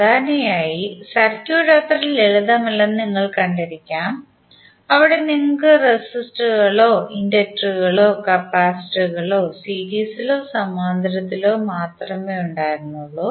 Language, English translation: Malayalam, Generally, you might have seen that the circuit is not so simple, where you have only have the resistors or inductors or capacitors in series or in parallel